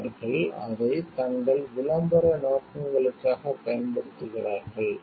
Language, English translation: Tamil, And they are using it for their promotional purposes